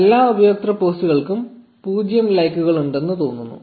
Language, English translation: Malayalam, So, it looks like there are 0 likes on all the user's post